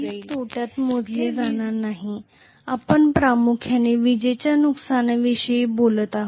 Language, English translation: Marathi, It will not be counted into the power loss; we are talking mainly about the real power losses